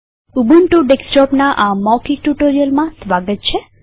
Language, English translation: Gujarati, Welcome to this spoken tutorial on Ubuntu Desktop